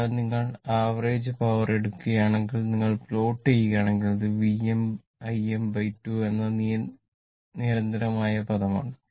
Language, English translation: Malayalam, So, if you take average power, then this one you are this is actually this 2 if you look at the plot, this is a constant term V m I m by 2 right